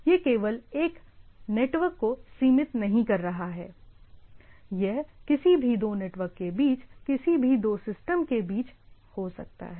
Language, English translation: Hindi, It is not only confining the one network, it can be between any two system in between any two network